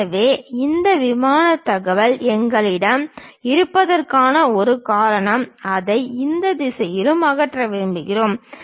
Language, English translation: Tamil, So, that is a reason we have this plane information which goes and we want to remove it in this direction also